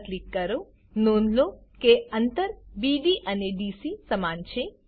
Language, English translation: Gujarati, Notice that distances BD and DC are equal